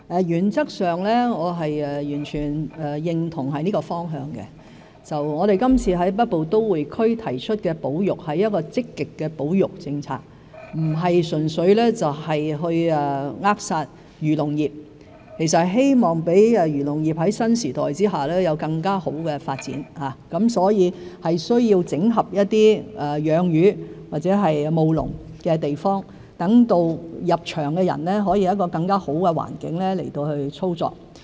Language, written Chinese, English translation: Cantonese, 原則上我完全認同這方向，我們今次在北部都會區提出的保育是積極的保育政策，不是純粹扼殺漁農業，而是希望讓漁農業在新時代下有更好的發展，所以需要整合一些養魚或務農的地方，讓入場的人有更好的操作環境。, In principle I fully agree with this direction . The conservation policy we propose in the Northern Metropolis initiative this time is a positive one which is not to merely stifle the agriculture and fishery industries but to enable the agriculture and fisheries industry to have better development in the new era . Thus there is a need to integrate some land for fish farming or agriculture so that the new entrants can have a better operating environment